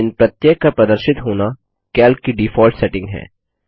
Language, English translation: Hindi, Displayed in each of these are the default settings of Calc